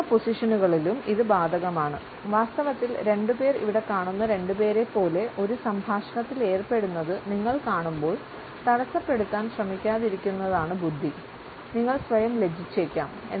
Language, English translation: Malayalam, The same holds true in a standing position; in fact, when you see two people engaged in a conversation like these two here; it would be wise not to try to interrupt, you may end up embarrassing yourself